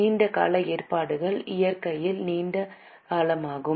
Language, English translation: Tamil, Long term provisions are long term in nature